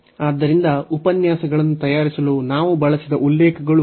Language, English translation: Kannada, So, these are the references we have used for preparing the lectures